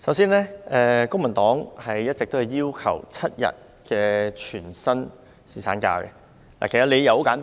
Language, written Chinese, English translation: Cantonese, 首先，公民黨一直要求設定7天全薪侍產假，理由十分簡單。, First of all the Civic Party has always demanded a seven - day full - pay paternity leave . The reason is very simple